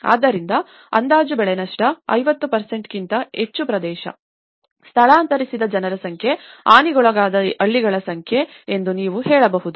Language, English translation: Kannada, So, you can say that estimated crop loss this much, area more than 50%, number of people evacuated, number of villages affected